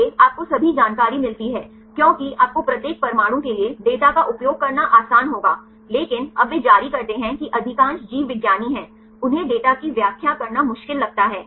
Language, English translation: Hindi, So, you get all the information because will give you the data for each atom is easy to use, but now they issue is most of the biologists, they find it difficult to interpret the data